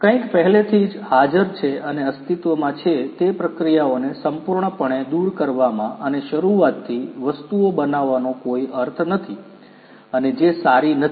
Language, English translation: Gujarati, Something is already existing, there is no point in completely removing the existing processes and building things from scratch that is not good